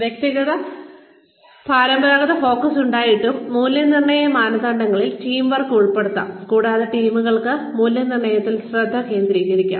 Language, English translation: Malayalam, Despite the traditional focus on the individual, appraisal criteria can include teamwork, and the teams can be the focus of the appraisal